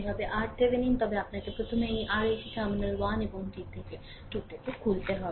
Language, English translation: Bengali, But, first you have to open this R L from terminal 1 and 2